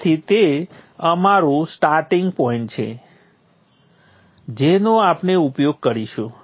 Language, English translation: Gujarati, So that is our starting point that we will use